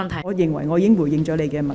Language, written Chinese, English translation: Cantonese, 我認為我已回應了你的問題。, I think I have responded to your question